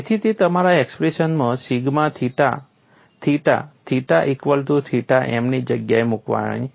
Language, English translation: Gujarati, So, that comes from substituting in your expression for sigma theta theta, theta equal to theta m